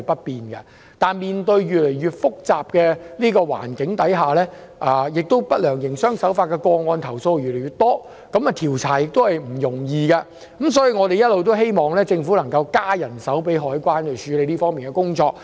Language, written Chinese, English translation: Cantonese, 然而，面對越來越複雜的環境，投訴不良營商手法的個案越來越多，調查亦不容易。我們一直希望政府能增加海關人手，處理這方面的工作。, In the face of an increasingly complicated environment with an ever - increasing number of complaints about unfair trade practices coupled with the difficulties in investigation we have always hoped that the Government will increase the number of CED staff who handle the work in this respect